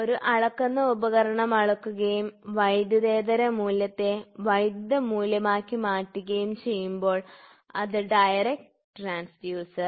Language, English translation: Malayalam, So, a measuring device the transform non electrical value into electrical signal is direct